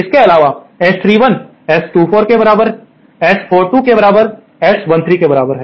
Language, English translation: Hindi, Further, S 31 is equal to S 24 is equal to S 42 is equal to S 13